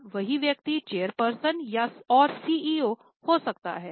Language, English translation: Hindi, Now same person may be chairman and CEO